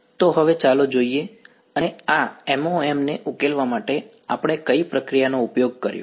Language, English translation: Gujarati, So, now let us and what procedure did we use for finding solving this MoM